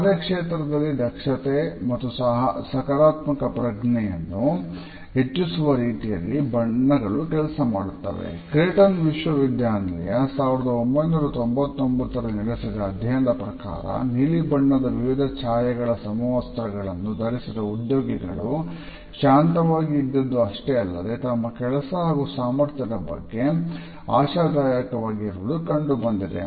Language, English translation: Kannada, A study of Creighton University conducted in 1999 found that employees who were wearing uniforms in different shades of blue felt calm and they also felt more hopeful about their professional roles and competence